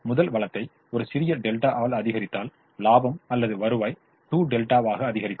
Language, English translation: Tamil, therefore, if we increase the first resource by a small delta, the profit or revenue goes up by two delta